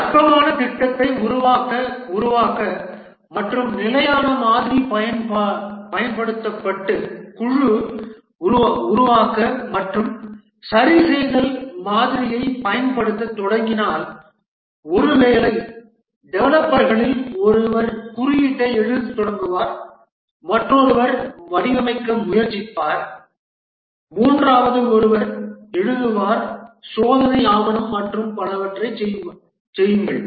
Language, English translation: Tamil, If the build and fixed model is used for developing a non trivial project and a team starts using the build and fix model, then maybe one of the developers will start writing the code, another will try to design, the third one write to that do the test document and so on another may define the I